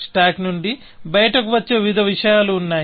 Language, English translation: Telugu, There are various things that can come out of the stack